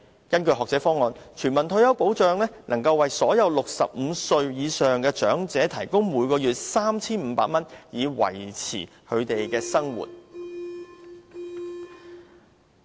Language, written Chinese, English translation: Cantonese, 根據學者方案，全民退休保障能夠為所有65歲以上的長者提供每月 3,500 元，以維持他們的生活。, The Scholar Proposal suggested a retirement grant of 3,500 monthly for all elderly aged 65 or above so as to support their living